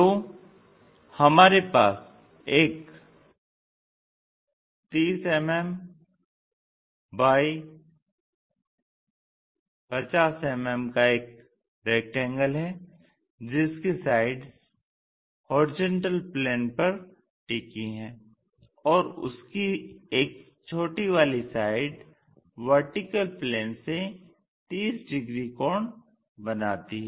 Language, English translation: Hindi, So, what we have is a 30 mm by 50 mm rectangle with the sides resting on horizontal plane, and one small side it makes 30 degrees to the vertical plane